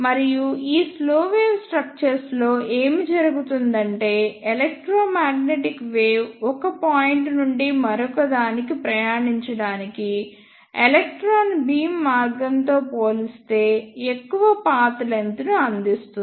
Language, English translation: Telugu, And what happens in these ah slow wave structures is that we provide a larger path length for a electromagnetic wave to travel from one point to another as compared to the electron beam path that is the shortest path